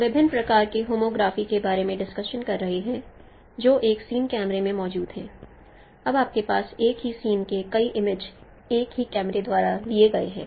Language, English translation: Hindi, We are discussing about different kinds of homography that exists in a single view camera when you have multiple view images of the same scene by a single camera